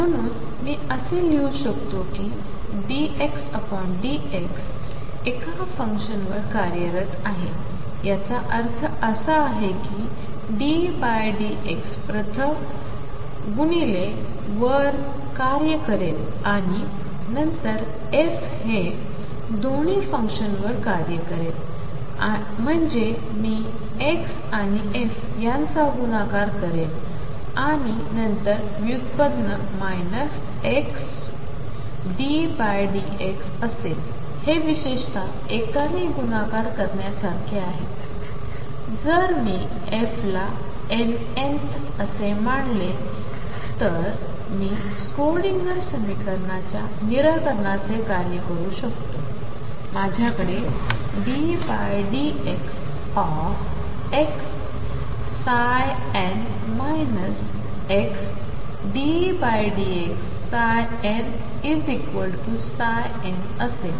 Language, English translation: Marathi, Therefore I can write that d by d x x operating on a function by that I mean d by d x will act on first on x and then f both this operating on a function means I will multiply x and f and then take the derivative minus x d by d x is like multiplying by one in particular, if I take f to be the n th I can function of the solution of the Schrödinger equation, I am going to have d by d x of x psi n minus x d psi n by d x is equal to psi n